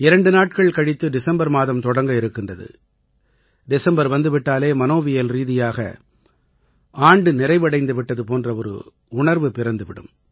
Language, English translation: Tamil, Two days later, the month of December is commencing…and with the onset of December, we psychologically feel "O…the year has concluded